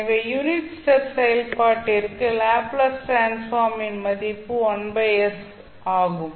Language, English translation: Tamil, So, for the unit step function the value of Laplace transform is given by 1 by s